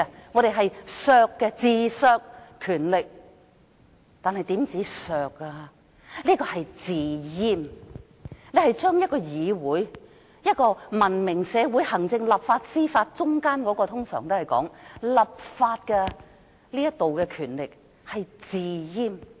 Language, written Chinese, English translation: Cantonese, 我們自削權力，這不單是自削，更是"自閹"，是把文明社會中，行政、立法和司法三方中的議會權力"自閹"。, We are undermining our own powers . This is more than undermining our own powers . It is in fact self - castration slashing the powers of the Council in the tripartite relationship among the executive legislature and Judiciary in a civilized society